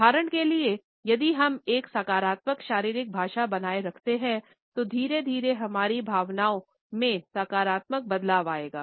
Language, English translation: Hindi, For example, if we maintain a positive body language, then gradually our emotions would have a positive shift